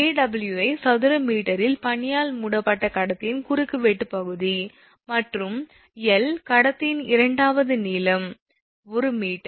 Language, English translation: Tamil, Awi is equal to cross sectional area of conductor covered with ice in square meter right and l is equal to second length of conductor say 1 meter